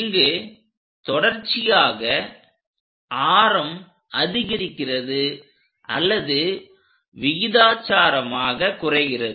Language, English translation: Tamil, Continuously, radius is changing increasing or decreasing proportionately